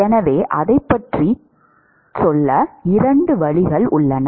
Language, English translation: Tamil, So, there are two ways to go about it